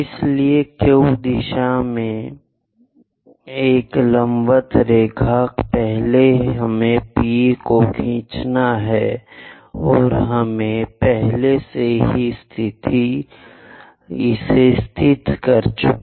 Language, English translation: Hindi, So, a vertical line all the way up in the Q direction first we have to draw and point P we have already located